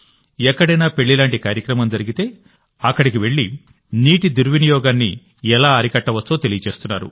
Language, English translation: Telugu, If there is an event like marriage somewhere, this group of youth goes there and gives information about how misuse of water can be stopped